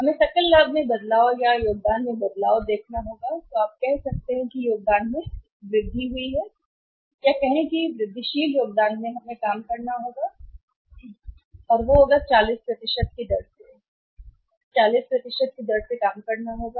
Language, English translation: Hindi, We will have to see change in the grave gross profit or change in the contribution, you can say increase in the contribution or the say incremental contribution we will have to work out and that will be at the rate of 40% that will have to work out at the rate of 40%